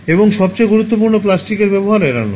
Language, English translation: Bengali, And the most important of all avoid use of plastic